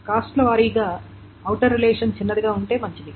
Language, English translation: Telugu, Cost wise, it is better if the outer relation is smaller